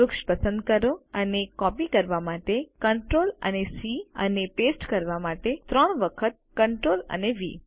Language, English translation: Gujarati, Select the tree and ctrl and C to copy Ctrl and V three times to paste